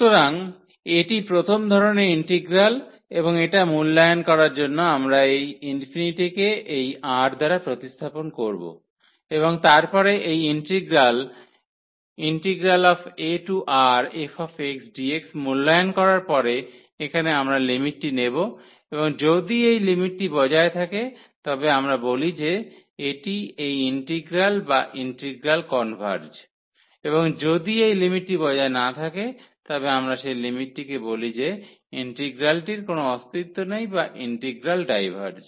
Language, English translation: Bengali, So, this is the integral of first kind and to evaluate this what we will do we will replace that infinity by R this number and then later on after evaluating this integral here a to R f x dx and then we will take this limit and if this limit exists we call that this is the value of this integral or the integral converges and if this limit does not exist then we call the limit that the integral does not exist or the integral diverges